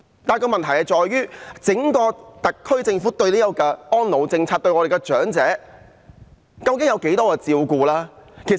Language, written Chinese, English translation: Cantonese, 然而，問題在於整個特區政府的安老政策有多照顧長者。, Yet at issue is how much care is provided to the elderly under the elderly care policy of the SAR Government